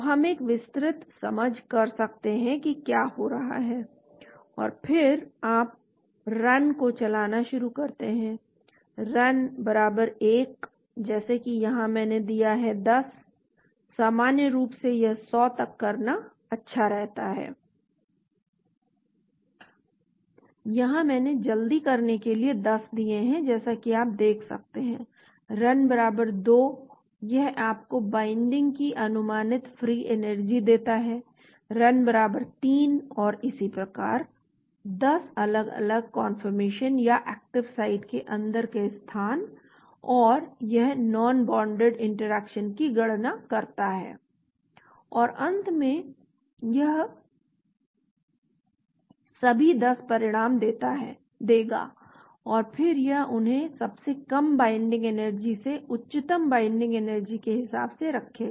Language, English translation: Hindi, So we can do a detailed understanding of what is happening and then you start doing run, Run =1 that is here I have given 10, normally it is good to do 100, here I have given 10 for fast as you can see Run = 2 it gives you estimated free energy of binding, Run = 3 and like that 10 different confirmations or location inside the active site and it calculates the non bonded interactions,